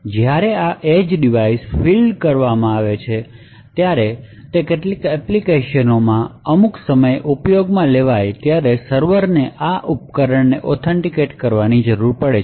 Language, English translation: Gujarati, So when this edge device is fielded and it is actually used in in some applications at some time or the other the server would require that this device needs to be authenticated